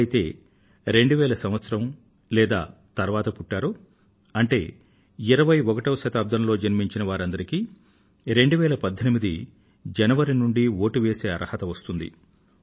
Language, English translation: Telugu, People born in the year 2000 or later; those born in the 21st century will gradually begin to become eligible voters from the 1st of January, 2018